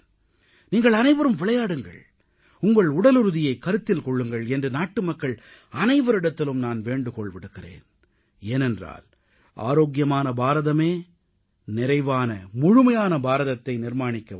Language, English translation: Tamil, I request every citizen to make it a point to play and take care of their fitness because only a healthy India will build a developed and prosperous India